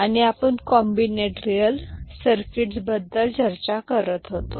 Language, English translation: Marathi, And, we were discussing combinatorial circuit